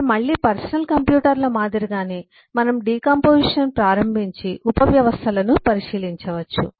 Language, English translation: Telugu, now again, like in the case of personal computers, we can start decomposing and look into subsystems